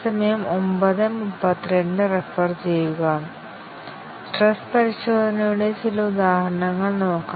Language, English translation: Malayalam, Let us look at some examples of stress testing